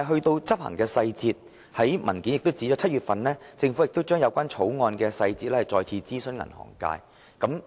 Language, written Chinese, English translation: Cantonese, 在執行細節方面，資料摘要指出政府已於7月就《條例草案》的細節再次諮詢銀行界。, As regards details of the implementation the Legislative Council Brief stated that the Government already conducted another consultation with the banking industry on the details of the Bill in July